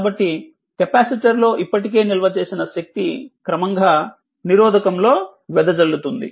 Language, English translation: Telugu, So, the energy already stored in the capacitor is gradually dissipated in the resistor